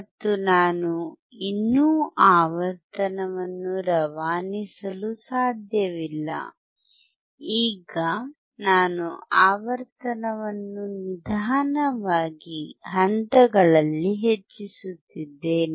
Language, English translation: Kannada, And I cannot still pass the frequency, now I keep on increasing the frequency in slowly in steps